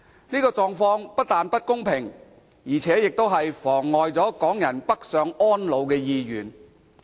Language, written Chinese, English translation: Cantonese, 這狀況不但不公平，而且更妨礙港人北上安老的計劃。, The current situation is unfair and also hinders Hong Kong peoples plan to move to the Mainland for retirement